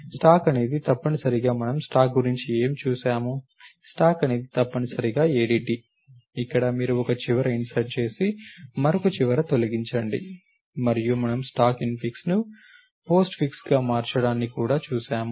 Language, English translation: Telugu, A stack is essentially as we saw in the course what did we see about the stack, thus a stack is essentially an ADT where you insert at one end and delete at a other end and we also looked at the conversion of infix to postfix in the stack